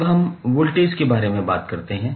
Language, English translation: Hindi, Now, let us talk about voltage